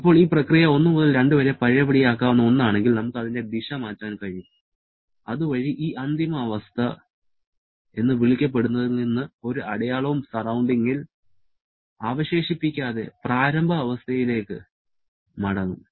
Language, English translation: Malayalam, Now if this process 1 to 2 is a reversible one, then we can reverse its direction thereby moving from this so called final state back to the initial state without leaving any mark on the surrounding